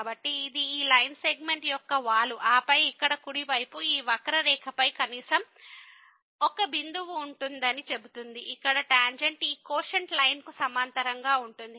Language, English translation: Telugu, So, this is the slope of this line segment and then the right hand side here says that there will be at least one point on this curve where the tangent will be parallel to this quotient line